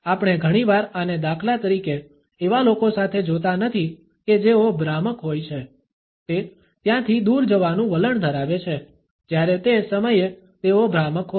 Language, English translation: Gujarati, We do not often see this for instance with people who are being deceptive, it tends to go away right when one at that point when there they are being deceptive